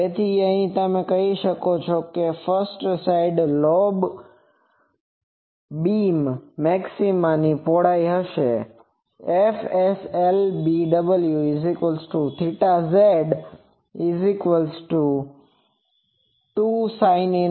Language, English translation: Gujarati, So, from here you can say that first side lobe beam width that will be 2 theta s and that is 2 sin inverse 1